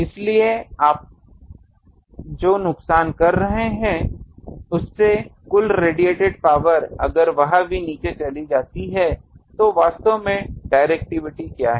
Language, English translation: Hindi, So, the loss you are making but the total radiated power if that also goes down because what is actually directivity